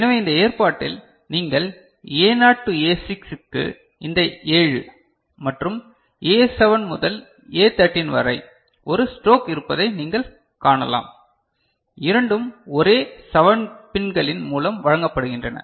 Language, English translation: Tamil, So, in this arrangement what you can see that A naught to A6 these 7, and A7 to A13 there is a stroke over there; both are fed through same set of 7 pins